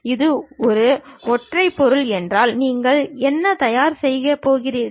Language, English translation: Tamil, If it is one single object, what you are going to prepare